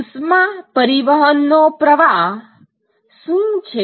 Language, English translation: Gujarati, What is the flux of heat transport